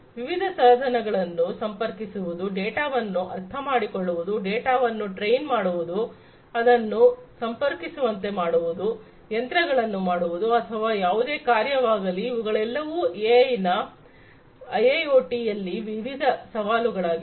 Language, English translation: Kannada, Connecting different devices, understanding the data, training the data, making it accessible, making the machines or whatever actionable these are all different challenges of use of AI in IIoT